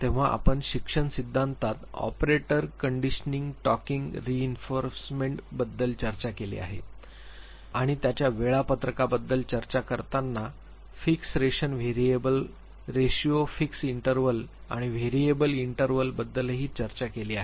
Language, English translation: Marathi, When we are going through learning he talked about operant conditioning talking about reinforcement and he also talked about the schedule of reinforcement when we talked about fixed ration variable ratio fixed interval and variable interval schedules